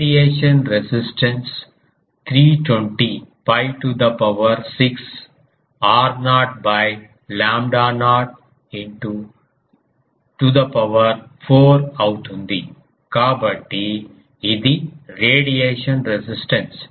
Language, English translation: Telugu, The radiation resistance is 320 pi to the power 6 r naught by lambda naught to the power 4; so, this is the radiation resistance